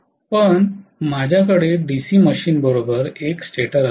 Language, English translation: Marathi, But I will have a stator along with the DC machine